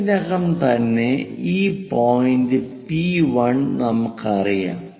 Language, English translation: Malayalam, Already we know this point P1 locate it on the sheet